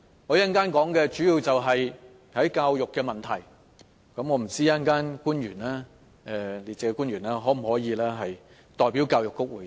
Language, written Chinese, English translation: Cantonese, 我稍後的發言主要涉及教育方面的問題，我不知道稍後列席的官員可否代表教育局回答。, Later on I will focus on the education aspect in my speech . I do not know if the public officer who is present today can reply on behalf of the Education Bureau